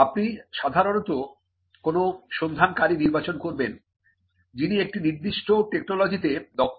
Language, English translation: Bengali, Now you would normally select a searcher who is competent in a particular technology